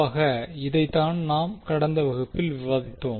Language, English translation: Tamil, So, this is what we discuss in the last class